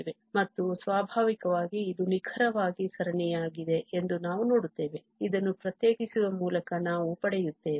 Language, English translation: Kannada, And naturally, what we see that this is exactly the series which we will obtain just by differentiating this one